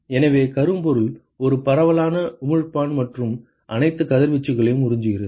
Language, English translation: Tamil, So, blackbody is a diffuse emitter and absorbs all incident radiation